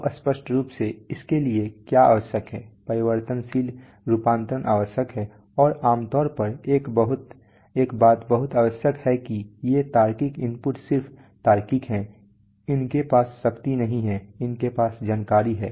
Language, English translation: Hindi, Now obviously what is necessary for this there is variable conversion necessary and generally one thing is very much necessary is that these logical inputs are just logical they do not have power, they have the information